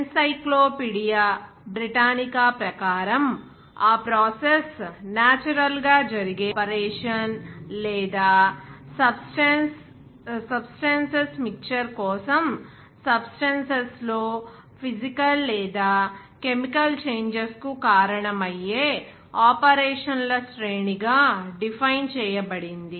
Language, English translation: Telugu, As per Encyclopedia Britannica, that process is defined as a naturally occurring operation or designed series of operations that causes physical or chemical changes in substances for a mixture of substances